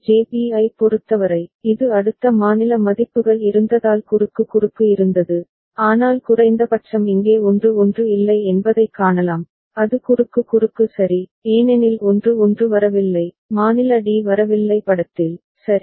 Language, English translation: Tamil, For JB, it was cross cross because of the way the next state values were there, but at least here you can see that 1 1 is not there it is cross cross ok, because 1 1 is not coming, the state d is not coming into picture, right